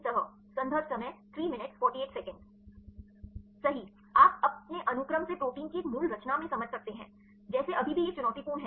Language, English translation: Hindi, Right you can decipher in a native conformation of protein from its sequence like still it is a challenging